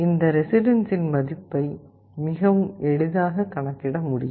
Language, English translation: Tamil, This will give you the value of the resistance